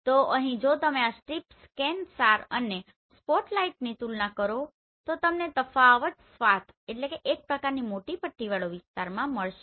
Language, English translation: Gujarati, So here if you compare this strip, ScanSAR and spotlight you will find the difference in the swath